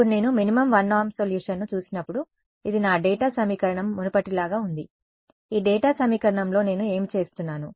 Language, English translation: Telugu, Now, when I look at minimum 1 norm solution, so this is my data equation as before, in this data equation what am I doing